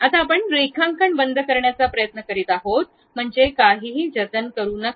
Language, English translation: Marathi, Now, you are trying to close the drawing, that means, do not save anything